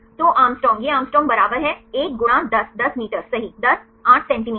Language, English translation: Hindi, So, Å the Å it is equal to one into 10 10 meter right 10 8 centimeter right